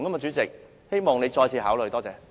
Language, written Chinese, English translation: Cantonese, 主席，希望你再次考慮。, President I hope that you will give a second thought